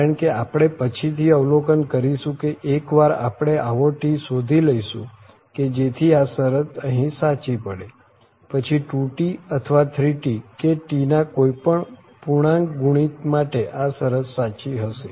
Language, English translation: Gujarati, Because once I mean we will observe also later that once we find some this capital T such that this property holds here than the 2T or the 3T any integer multiple of this T will also work and this property will be true